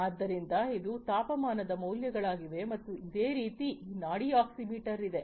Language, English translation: Kannada, So, this is the temperature plot and likewise this pulse oximeter that is there